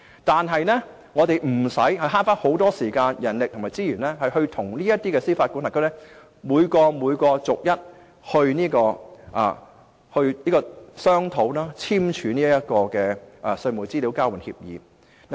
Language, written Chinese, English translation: Cantonese, 但是，我們可以節省大量時間、人力和資源，無須與這些司法管轄區逐一商討及簽署稅務資料交換協議。, However a lot time manpower and resources can be saved and we need not negotiate with each jurisdiction and sign TIEA